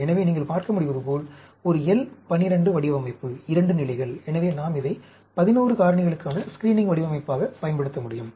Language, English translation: Tamil, So, as you can see, a L 12 design, 2 levels; so, we can use it as a screening design for 11 factors